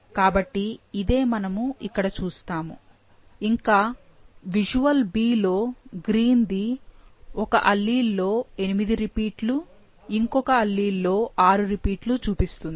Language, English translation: Telugu, So, that is what we see over here and in the visual B, the green one show 8 repeats in one of the alleles and 6 in the other